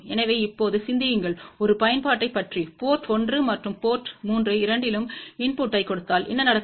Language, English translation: Tamil, So, now, think about an application, if we give a input at both port 1 as well as port 3 so, what will happen